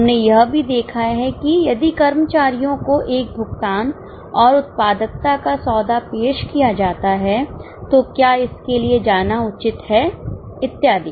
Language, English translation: Hindi, We have also seen that if a pay and productivity deal is to be offered to employees, is it advisable to go for it and so on